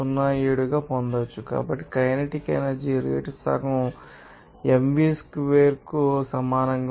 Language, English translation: Telugu, 07 So, kinetic energy rate will be equal to half mv squared